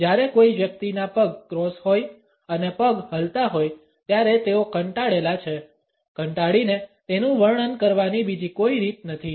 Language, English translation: Gujarati, When a person has their legs crossed and foot shaking they are bored; bored there is no other way to describe it